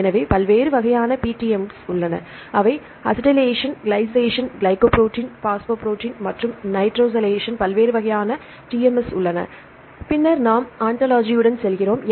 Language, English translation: Tamil, So, various types of PTMs: acetylation, glycation, glycoprotein, phosphoprotein and s nitrosylation the various types of TMs, then we go with the ontology